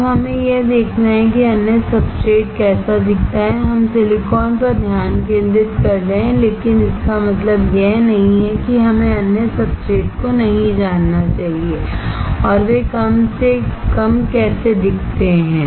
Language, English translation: Hindi, Now, we have to see how the other substrate looks like, we are focusing on silicon, but that does not mean that we should not know the other substrates and how they look like at least